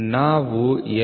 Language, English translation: Kannada, So, the L